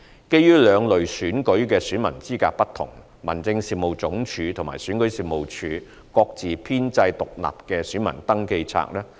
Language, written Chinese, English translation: Cantonese, 基於兩類選舉的選民資格不同，民政事務總署和選舉事務處各自編製獨立的選民登記冊。, In view of the difference between the elector eligibility of the two elections HAD and the Registration and Electoral Office REO compile the registers of electors separately